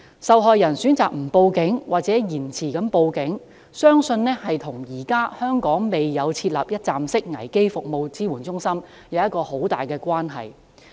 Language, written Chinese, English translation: Cantonese, 受害人選擇不向警方報案或延遲向警方報案，相信與香港現時未有設立一站式危機服務支援中心有很大關係。, In my opinion the absence of a one - stop crisis support service centre in Hong Kong is a key factor contributing to the reluctance of sexual violence victims to make a report to the Police or their decision to delay the making of such a report